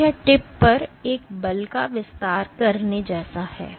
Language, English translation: Hindi, So, it is like exerting a force here the tip